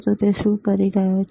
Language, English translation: Gujarati, So, what he is doing